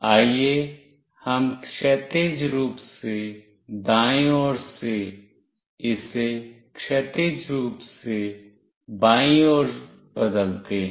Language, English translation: Hindi, Let us say from horizontally right, we change it to horizontally left